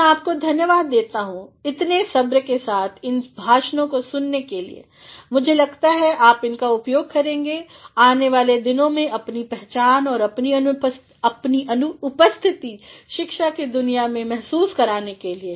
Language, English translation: Hindi, I thank you all for being patiently listening to these lectures, and I think you will apply these in the days to come to make your appearance and your presence felt in the world of academia